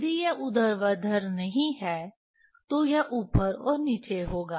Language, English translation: Hindi, If it is not vertical, it will up and down